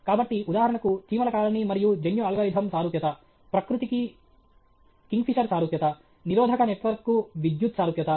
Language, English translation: Telugu, So, for example, ant colony and genetic algorithm analogy kingfisher analogy to nature, electric analogy resistantant network